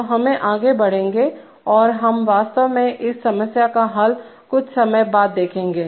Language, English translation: Hindi, So we go on, so now, so, as we shall see, we will actually see the solution a little later